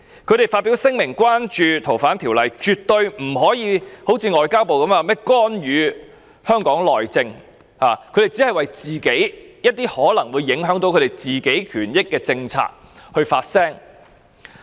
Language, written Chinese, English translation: Cantonese, 他們發表聲明關注該條例的修訂，絕對不可如外交部般，說是干預香港內政，他們只是為一些可能會影響自己權益的政策發聲。, Their statements of concern over the legislative amendment should not be interpreted as intervention in Hong Kongs internal affairs as the Ministry of Foreign Affairs has so claimed . They are only speaking out on policies that may affect their rights